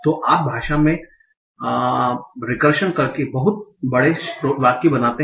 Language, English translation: Hindi, So in language you make a lot of big sentences by doing recursion